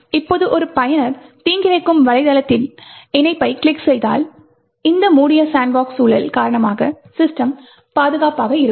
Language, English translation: Tamil, Now, if a user clicks on a link in a malicious website the system would still remain secure, because of this closed sandbox environment